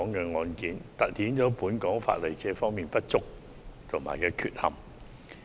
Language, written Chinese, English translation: Cantonese, 這宗案件凸顯了本港法例在這方面的不足和缺陷。, This case has highlighted the shortcomings and deficiencies of our legislation in this respect